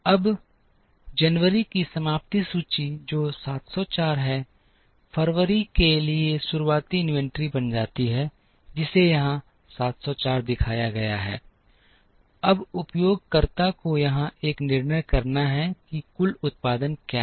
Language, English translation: Hindi, Now, the ending inventory of January which is 704 becomes the beginning inventory for February, which is shown here 704 is shown here, now the user has to make a decision here as to what is the total production